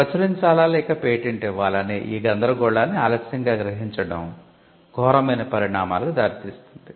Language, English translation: Telugu, Late realization of this dilemma whether to publish or to patent could lead to disastrous consequences